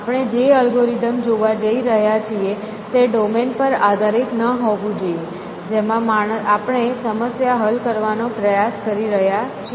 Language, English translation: Gujarati, The algorithm that we are going to look at should not depend upon the domain that we are trying to solve the problem in